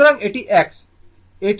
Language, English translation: Bengali, So, this is your x